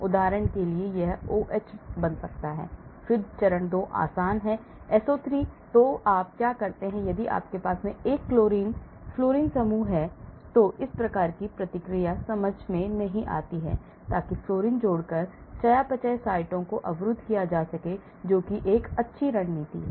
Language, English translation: Hindi, For example, this can become OH then it is easy to put the phase 2; SO3, so what you do is; if you have a fluorine type of group, this type of reaction does not take place understand, so that is blocking metabolic sites by adding fluorine that is a good strategy